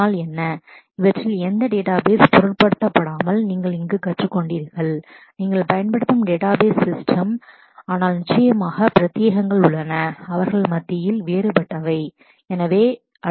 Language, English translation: Tamil, So, what you have learnt here would be applicable irrespective of which database which of these database systems you are using, but of course there are specifics which would be different amongst them